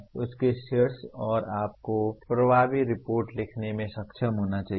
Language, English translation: Hindi, And on top of that you should be able to write effective reports